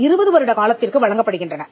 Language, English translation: Tamil, They are granted for a period of 20 years